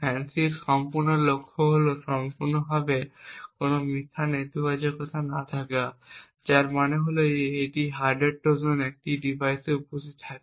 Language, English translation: Bengali, The entire aim of FANCI is to completely have no false negatives, which means that if a hardware Trojan is present in a device a FANCI should be able to detect it